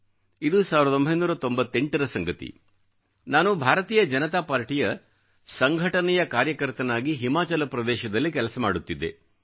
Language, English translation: Kannada, I was then a party worker with the Bharatiya Janata Party organization in Himachal